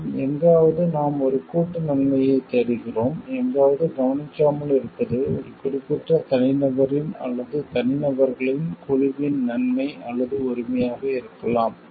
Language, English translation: Tamil, And maybe somewhere not we are looking into a collective good and somewhere not looking into the may be the good or the right of a particular individual or the group of individuals